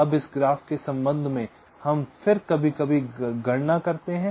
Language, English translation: Hindi, now, with respect to this graph, we then calculate sometimes